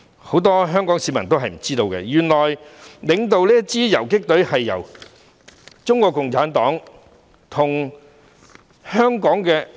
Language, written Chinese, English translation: Cantonese, 很多香港市民也不知道，原來領導這支游擊隊的就是中國共產黨。, Unbeknownst to many Hong Kong people this guerrilla force was actually led by the Communist Party of China